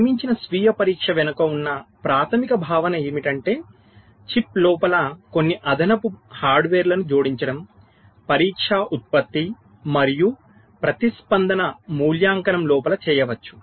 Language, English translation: Telugu, so the basic concept behind built in self test is to add some additional hardware inside the chip such that test generation and response evaluation can be done inside